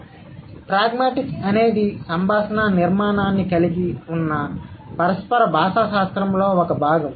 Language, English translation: Telugu, So, pragmatics is a part of the interactional linguistics which involves the conversational structure